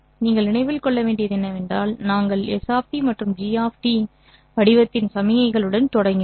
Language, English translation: Tamil, What you have to remember is that we started off with signals of the form S of T and G of T over a certain duration